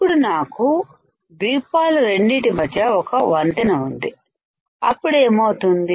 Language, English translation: Telugu, Now in this case if I have a bridge right connected between these 2 islands and what will happen